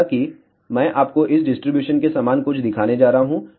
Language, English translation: Hindi, However, I am going to show you somewhat similar to this distribution